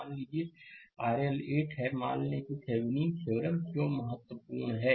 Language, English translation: Hindi, Suppose, R L is 8; suppose, why Thevenin’s theorem is important